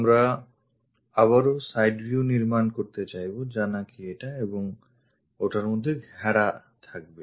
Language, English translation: Bengali, We would like to construct again side view bounded between this one and that one